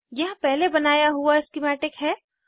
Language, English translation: Hindi, Here is the schematic created earlier